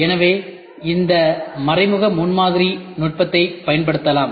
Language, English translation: Tamil, So, this indirect prototyping technique can be used